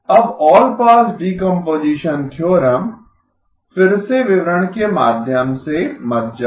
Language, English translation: Hindi, Now allpass decomposition theorem, again want to go through the details